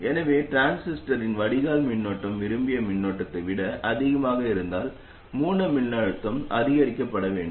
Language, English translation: Tamil, So if the drain current of the transistor happens to be more than the desired current, then the source voltage must be increased